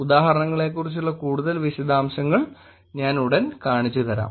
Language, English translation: Malayalam, I will actually show you more details about examples also pretty soon